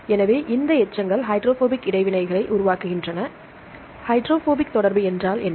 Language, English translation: Tamil, So, these residues tend to form the hydrophobic interactions; what is a hydrophobic interaction